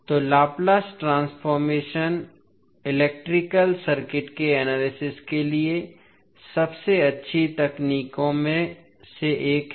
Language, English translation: Hindi, So, the Laplace transform is considered to be one of the best technique for analyzing a electrical circuit